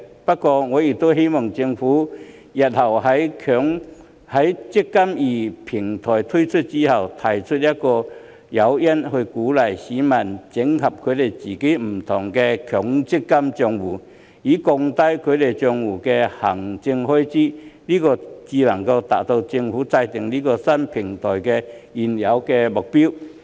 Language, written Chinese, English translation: Cantonese, 不過，我亦希望政府日後在"積金易"平台推出後，提供一些誘因，鼓勵市民整合自己不同的強積金帳戶，以降低其帳戶的行政開支，這樣才能達致政府建立這個新平台的原有目標。, Notwithstanding this I also hope that the Government will provide some incentives in the future to encourage members of the public to consolidate different personal MPF accounts after the launch of the eMPF Platform for the sake of reducing the administrative expenses of their accounts . Only through this can we achieve the original objective for the Government to set up this new platform